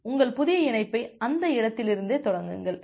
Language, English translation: Tamil, And you are starting your new connection from that point